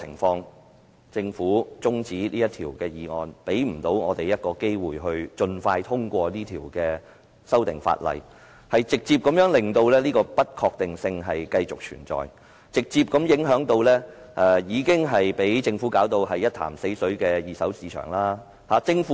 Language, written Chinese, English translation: Cantonese, 但是，政府中止審議《條例草案》，讓我們沒機會盡快通過《條例草案》，直接令這不確定性繼續存在，直接影響已被政府弄到一潭死水的二手市場。, However as the Government adjourned the scrutiny of the Bill we do not have the opportunity to pass the Bill expeditiously so that such uncertainties continue to exist dealing a direct blow to the second - hand market which has been stifled by the Government